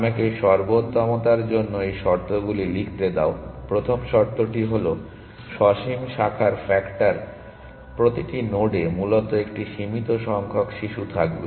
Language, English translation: Bengali, So, let me write this conditions for optimality, the first condition is finite branching factor every node will have a finite number of children essentially